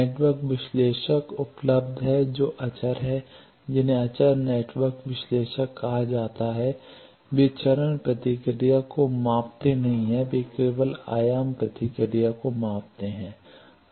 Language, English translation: Hindi, Network analyzers are available who does scalar, who are called scalar network analyzer they do not measure phase response they measure only amplitude response